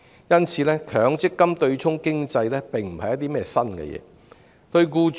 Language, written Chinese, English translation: Cantonese, 因此，強積金對沖機制並不是新事物。, Therefore the MPF offsetting mechanism is nothing new